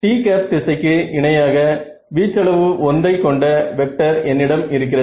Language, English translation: Tamil, So, I have a vector of magnitude one along the t hat direction